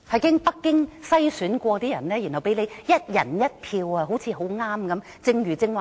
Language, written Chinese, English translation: Cantonese, 經北京篩選的人，才讓我們"一人一票"選出。, We were only allowed to elect through one person one vote the candidates handpicked by Beijing